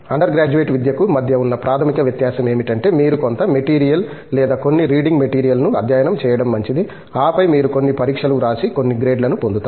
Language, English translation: Telugu, The basic difference between an under graduate education where you are kind of coached okay to study some material or certain reading material and then you go through certain exams and then gets certain grades out of it